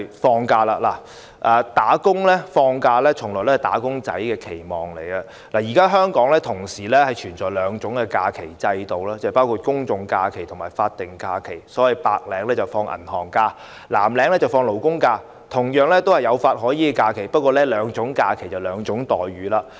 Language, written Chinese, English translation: Cantonese, 放假從來也是"打工仔"的期望，現時香港同時存在兩種假期制度，即公眾假期和法定假日，白領放銀行假期，藍領放勞工假期，兩種假期同樣有法可依，但卻是兩種待遇。, Holidays have always been the expectations of wage earners . At present there are two holiday systems in Hong Kong including general holidays and statutory holidays . White - collar workers have bank holidays while blue - collar workers have labour holidays; both kinds of holidays have a legal basis but the treatments are different